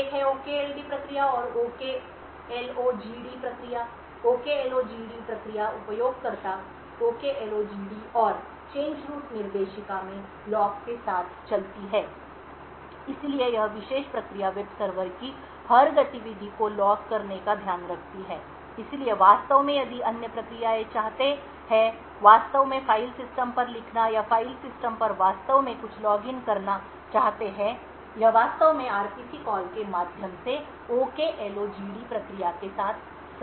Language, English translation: Hindi, One is the OKD process and the OKLOGD process, the OKLOGD process runs with the user OKLOGD and in the change root directory called log, so this particular process takes a care of logging every activity of the web server, so in fact if other processes want to actually write to the file system or want to actually log something on the file system, it would actually communicate with the OKLOGD process through the RPC call